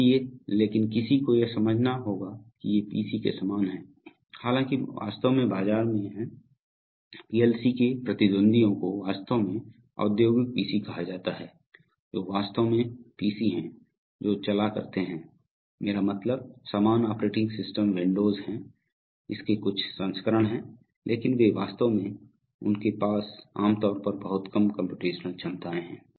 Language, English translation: Hindi, So but one has to understand that these are, although they are much like PC’s, in fact there are the in the market, the competitors of PLC's are actually called industrial PC’s which are really PC’s, run on, I mean similar operating systems windows, some versions of it but they are actually, they have generally much lower computational capabilities